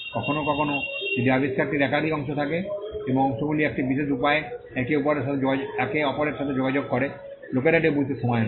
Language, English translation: Bengali, Sometimes, if the invention has multiple parts and if the parts interact with each other in a particular way, it takes time for people to understand that